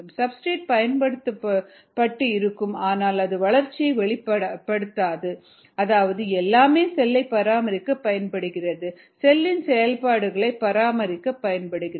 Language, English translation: Tamil, there will be substrate consumption were it doesnt show up as growth, which means everything is going to maintain the cell, maintain the activities of the cell